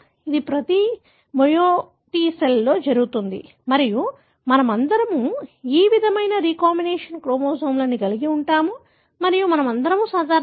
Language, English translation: Telugu, It happens in every meioticcell and we all carry this kind of recombinant chromosomes and we are all normal